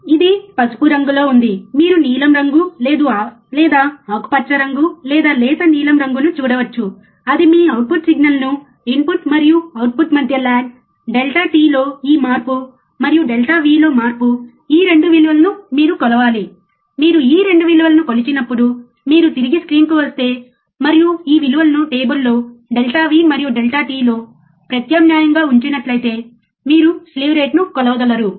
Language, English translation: Telugu, Which is yellow, you can see blue colour or greenish colour or light blue that is your output signal is a lag between input and output, this change in delta t, and change in delta V is your 2 values that you have to measure, when you measure these 2 values, if you come back to the screen, and you will see that if you put this value substitute this value onto the table delta V and delta t you are able to measure the slew rate